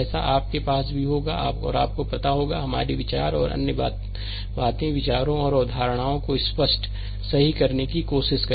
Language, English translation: Hindi, Such that you will have also you will have you know, our thoughts and other things ideas and concepts will try to clear, right